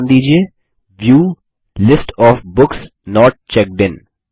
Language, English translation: Hindi, Name the view as View: List of Books not checked in